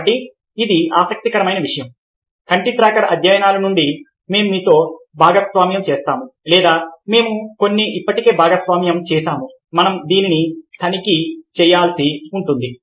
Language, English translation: Telugu, so this is a very interesting thing, as you can see from the eye tracker studies that we will be sharing with you or we have already shared